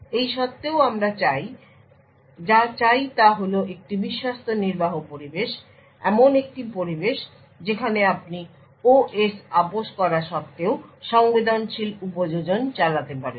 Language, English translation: Bengali, In spite of this what we want is a Trusted Execution Environment would provide is an environment where you can run sensitive applications in spite of OS being compromised